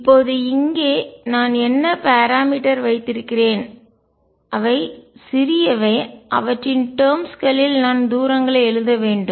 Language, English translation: Tamil, Now, here what do I have the parameters that are small in the whose terms I should write the distances